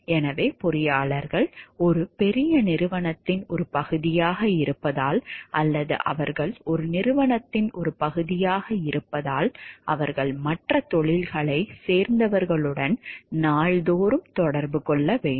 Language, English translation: Tamil, So, what we find like, because engineers are a part of a large corporation, or they are part of an organization they have to day in and day out interact with people from other professions also